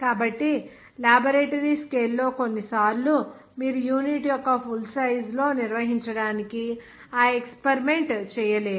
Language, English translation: Telugu, So in that case in laboratory scale sometimes you cannot do that experiment possible to carry out on its full size of the unit